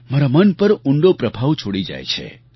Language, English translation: Gujarati, They leave a deep impression on my heart